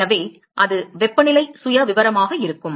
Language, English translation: Tamil, So, that is going to be the temperature profile